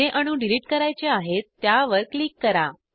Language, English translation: Marathi, Click on the atoms you want to delete